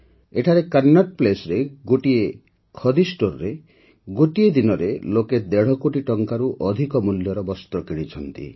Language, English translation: Odia, Here at Connaught Place, at a single Khadi store, in a single day, people purchased goods worth over a crore and a half rupees